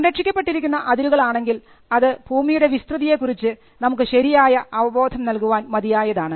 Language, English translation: Malayalam, If the boundaries are protected and it gives a much clearer view of what is the extent of the land